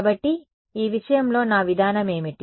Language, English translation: Telugu, So, what was my approach in this case